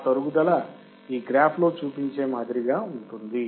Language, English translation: Telugu, This is similar to what this graph shows